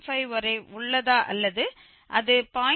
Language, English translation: Tamil, 5 or it lies between 0